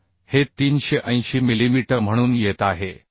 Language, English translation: Marathi, So this is coming as 380 mm